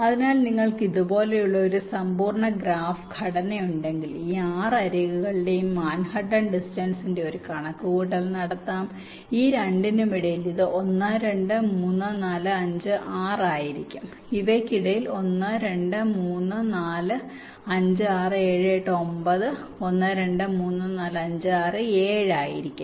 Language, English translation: Malayalam, so if you have a complete graph structure like this so you can make a calculation of the manhattan distance of all this, six edges, say, between these two it will be one, two, three, four, five, six